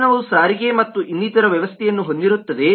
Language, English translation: Kannada, the vehicle will have a mechanism of transportation and so on